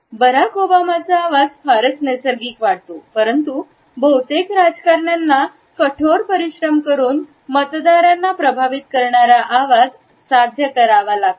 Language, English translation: Marathi, Barack Obama’s voice seems very natural, but most politicians work very hard to achieve a sound that impresses the voters